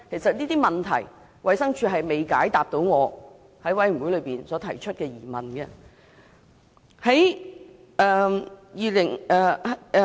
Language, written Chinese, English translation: Cantonese, 就這些問題，衞生署並未解答我在法案委員會提出的疑問。, The Department of Health did not answer these questions asked by me in the Bills Committee